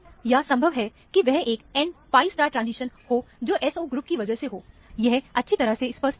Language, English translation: Hindi, Or, it could also possibly be the n pi star transition because of the SO group; we are not very sure about it